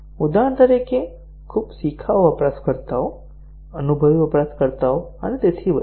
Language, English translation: Gujarati, For example, very novice users, experienced users and so on